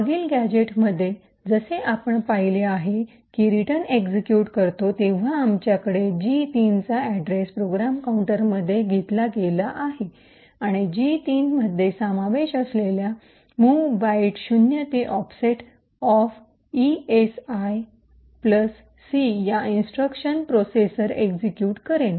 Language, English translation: Marathi, Now as we have seen in the previous gadget when the return executes, we have the address of gadget 3 taken into the program counter and therefore the processor would execute gadget 3 instructions comprising of the mov byte 0 to the offset of esi plus c